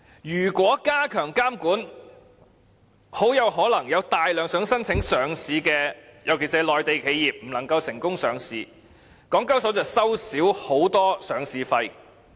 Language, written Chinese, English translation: Cantonese, 如果加強監管，很可能有大量想申請上市的公司，尤其是內地企業不能成功上市，港交所便會少收很多上市費。, If the regulatory regime is enhanced a large number of companies which are planning to submit a listing application Mainland enterprises in particular may not be able to come and list in Hong Kong and the listing fee income of HKEx will drop significantly